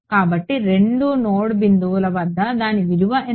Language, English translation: Telugu, So, at both the node points what is its value